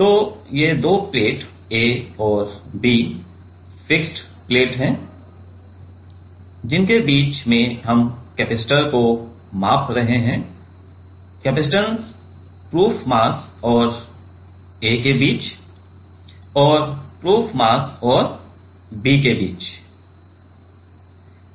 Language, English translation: Hindi, And these two plates A and B are fixed plates, in between which we are measuring capacitor; capacitance between the proof mass and the A and also proof mass and the B ok